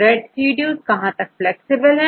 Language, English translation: Hindi, How far the residues are flexible